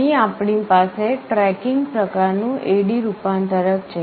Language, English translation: Gujarati, Here we have something called tracking type A/D converter